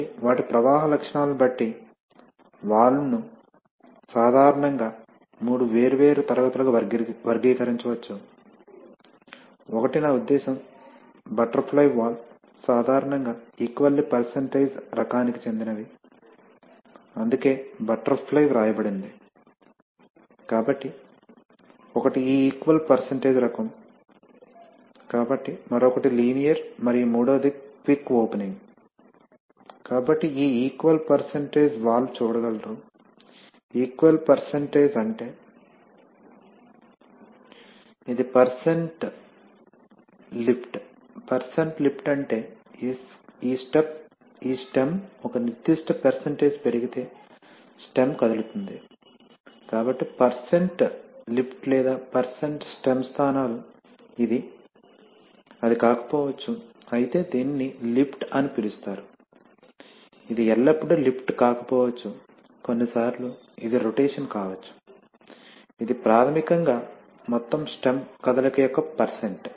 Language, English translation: Telugu, So depending on their flow characteristics, valve can, valve can be generally characterized into three different classes, one is I mean butterfly valves are typically of equal percentage type, so that is why and butterfly was written, so one is this equal percentage type, so another is linear and the third one is quick opening, so this equal percentage valve is, you can see, equal percentage means that if you, If you have a, this is percent lift, percent lift means this stem, if it is lifted by a certain percentage, the stem is moving, so percent lift or percent stem positions, this, it may not be, though it is called lift, it may not be always a lift, you know sometimes it may be a rotation also, basically means that the percent of the total stem movement